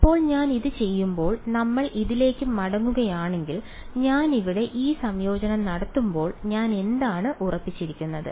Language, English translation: Malayalam, Now, when I am doing this if we go back to this when I am doing this integration over here what am I holding fixed